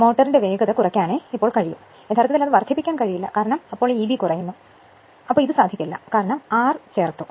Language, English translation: Malayalam, The speed of the motor can only be decreased, you cannot increase it, because because of this your E b is decreasing right, you cannot this thing, you can because, you have added r